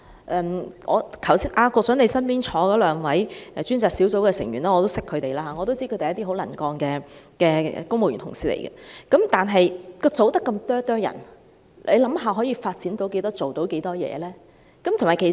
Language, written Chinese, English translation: Cantonese, 局長，我也認識你身邊兩位過渡性房屋專責小組的成員，我知道他們是很能幹的公務員同事，但過渡性房屋專責小組的人數那麼少，可想而知，可以做到多少事情呢？, Secretary I also know two members of the Task Force on Transitional Housing sitting next to you and I know that they are very capable civil servants . But imagine with such small Task Force how much can be done?